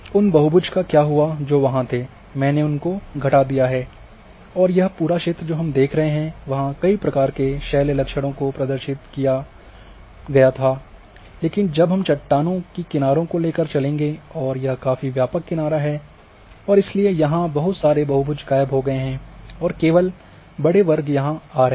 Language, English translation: Hindi, So, what happened that many polygons which where we are there now I have reduced and this whole area we see there were many types of lithologist were represent, but when we brought the ages of these rocks and these a ages are quite a broad ages and therefore, lot of polygons have disappeared and only large you know these classes are coming here